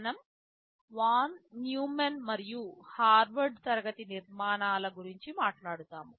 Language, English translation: Telugu, We talk about Von Neumann and Harvard class of architectures